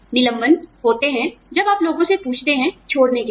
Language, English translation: Hindi, Layoffs are, when you ask people, to leave